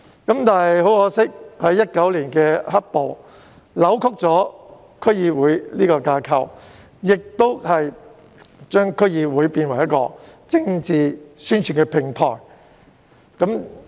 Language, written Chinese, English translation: Cantonese, 不過，可惜的是 ，2019 年的"黑暴"扭曲了區議會的架構，並將區議會淪為政治宣傳的平台。, But regrettably the onset of black - clad violence in 2019 deformed the DC framework and reduced it to a mere platform for political propagation